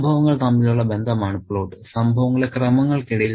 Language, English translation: Malayalam, Plot is about relationship between the events, between the sequence of events